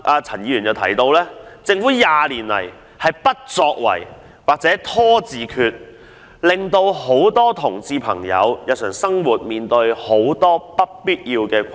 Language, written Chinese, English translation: Cantonese, 陳議員提到，政府過去20年來的不作為或"拖字訣"，導致眾多同志朋友在日常生活上面對諸多不必要的困難。, As Mr CHAN said the Governments inaction and procrastination over the previous 20 years have put homosexuals in many unnecessary difficulties in their daily lives